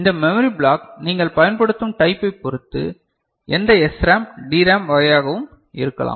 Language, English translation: Tamil, And this memory block could be any of SRAM, DRAM type of depending on whatever you are using